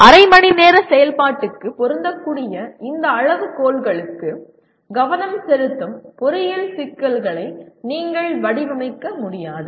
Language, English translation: Tamil, You cannot design engineering problems to pay attention to all these criteria that fits into a half an hour type of activity